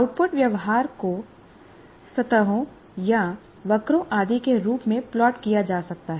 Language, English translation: Hindi, So the output behavior can be plotted as surfaces or curves and so on